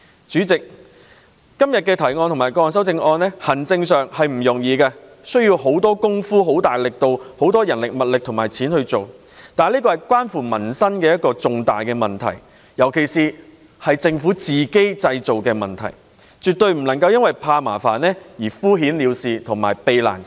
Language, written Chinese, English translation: Cantonese, 主席，今天的原議案及各項修正案的建議在行政上不容易處理，當中涉及很多人力、物力及金錢，但這是關乎民生的一個重大問題，尤其這是政府自行製造的問題，所以政府絕不能因為怕麻煩而敷衍了事。, They involve a lot of manpower material resources and money . But this is a major issue concerning peoples livelihood especially when it is a problem that the Government has created on its own . Therefore the Government should not muddle through the work for fear of trouble